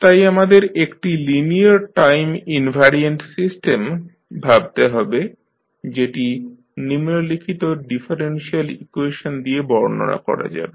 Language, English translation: Bengali, So, let us consider one linear time invariant system which is described by the following differential equation